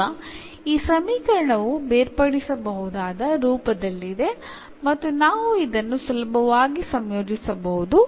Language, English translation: Kannada, Now, this equation is in separable form and we can integrate this easily